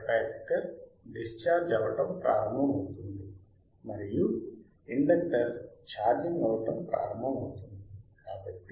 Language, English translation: Telugu, tThe capacitor will startcharge discharging and the inductor will start charging